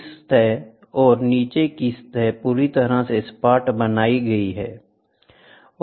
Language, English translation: Hindi, The top surface and the bottom surface are completely made flat